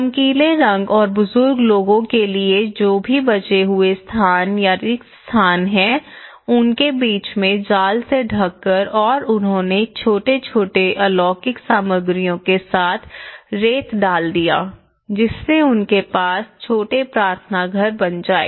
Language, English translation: Hindi, And the colours, the bright colours and for elderly people whatever the leftover spaces in between the buffer spaces, they covered with the net and they put the see shore sand with the small vernacular materials they started constructing some small prayer rooms